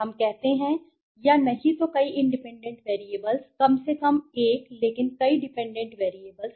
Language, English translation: Hindi, Let us say or if not multiple independent variables atleast 1 but multiple dependent variables